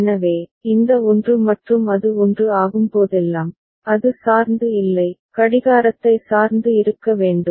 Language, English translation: Tamil, So, this 1 and whenever it becomes 1, it does not depend, need to depend on the clock